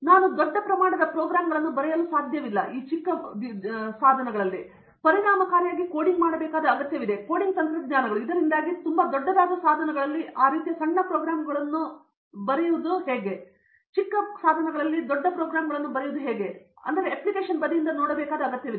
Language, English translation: Kannada, I cannot write large scale programs, I need to have very effective coding efficient, coding techniques and stuff like that so writing those types of small programs on the devices that’s also a very big today, that’s a big skill and that we need look into it, so that is from the application side